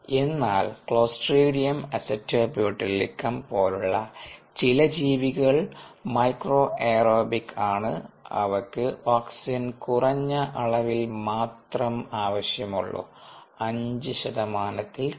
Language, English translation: Malayalam, but some organisms, clostridium acetobutylicum, clostridium acetobutylicum ah, which is micro aerobic, which requires low levels of oxygen, requires ah d o of less than five percent